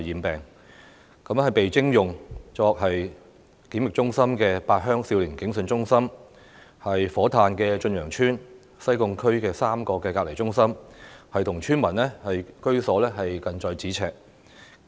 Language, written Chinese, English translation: Cantonese, 被徵用作檢疫中心的八鄉少年警訊中心、火炭駿洋邨、西貢區3個隔離中心跟村民居所近在咫尺。, The Junior Police Call Permanent Activity Centre at Pat Heung and Chun Yeung Estate in Fo Tan which have been requisitioned as quarantine centres and the three isolation centres in the Sai Kung district are in close proximity to the residential areas